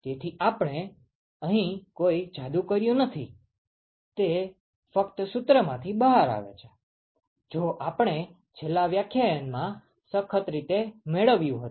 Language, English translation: Gujarati, So, we have not done any magic here, it just comes out from the formula, which we had derived rigorously in the last lecture